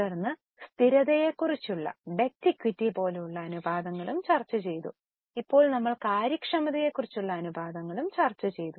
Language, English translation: Malayalam, Then we have also discussed the ratios like debt equity, which were about stability, and now we have discussed the ratios on efficiency